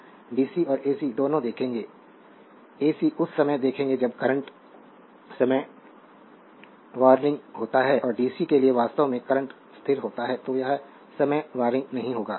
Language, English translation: Hindi, We will see both bc and ac, ac at the time you will see current is time warring right and for dc actually current is constant so, it will not time warring right